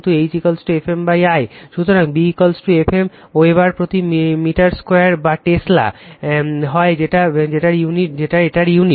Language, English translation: Bengali, So, B is equal to mu into F m upon l Weber per meter square or Tesla either or mu this is the unit